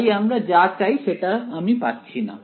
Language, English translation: Bengali, So, I am not exactly getting what I want